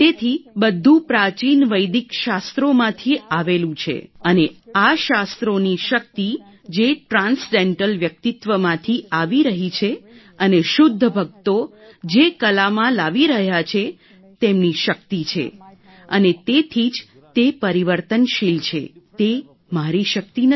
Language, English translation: Gujarati, So everything is from ancient Vedic scriptures and the power of these scriptures which are coming from transcendental personalities and the pure devotees who are bringing it the art has their power and that's why its transformational, it is not my power at all